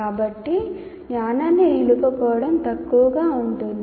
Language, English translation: Telugu, So there will be poor retention of the knowledge